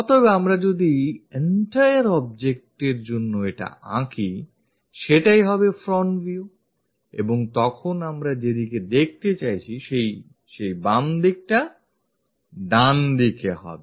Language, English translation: Bengali, So, if we are drawing this one for this entire object, the front view will be that and then, left side towards right direction, we are trying to look at